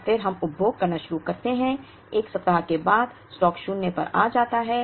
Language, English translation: Hindi, And then we start consuming so after a week the stock will come to zero